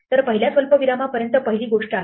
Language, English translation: Marathi, So, up to the first comma is a first thing